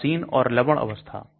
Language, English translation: Hindi, Neutral or salt form